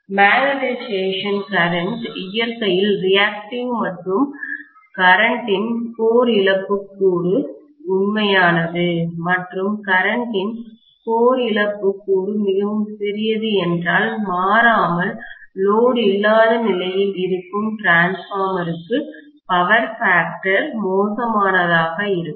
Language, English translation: Tamil, The magnetising current is reactive in nature and the core loss component of current is real and because core loss component of current is very very small, invariably the power factor will be pretty bad for a transformer under no load condition